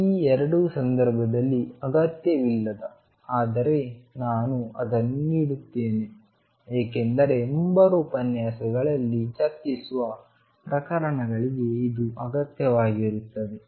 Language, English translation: Kannada, Method 2 which in this case is not will required, but I am giving it because it will require for cases that will discuss in the coming lectures